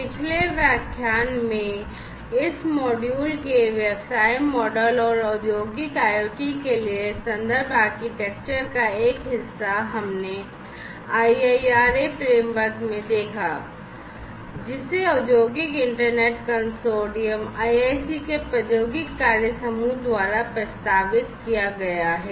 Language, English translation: Hindi, In the previous lecture, part one of the reference architecture of this module on business models and reference architecture for Industrial IoT we have seen the IIRA framework, that has been proposed by the technology working group of the Industrial Internet Consortium, IIC